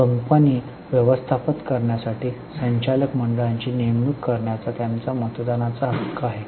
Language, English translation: Marathi, They have a voting right to appoint the board of directors for managing the company